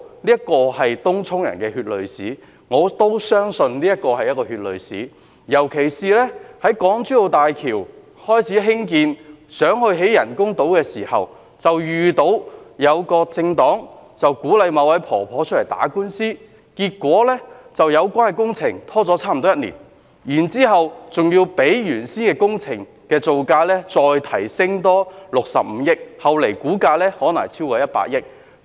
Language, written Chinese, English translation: Cantonese, 這是東涌居民的血淚史，我亦相信這是一段血淚史，尤其是就港珠澳大橋開始興建人工島時，便遇到一個政黨鼓勵某位婆婆出來打官司，結果令有關工程拖了差不多一年；然後，還要比原先的工程造價增加65億元，後來的估價可能超過100億元。, This involves a chapter of blood and tears in history in respect of Tung Chung residents which I also agree particularly because when an artificial island was planned to be constructed at the Hong Kong - Zhuhai - Macao Bridge a political party encouraged an old lady to lodge a judicial review . As a result the project concerned was delayed for almost one year while the project cost was increased by 6.5 billion with the estimated cost likely to be over 10 billion